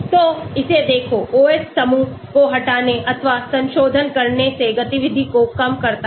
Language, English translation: Hindi, So, look at this, removal or modification of OH group reduces activity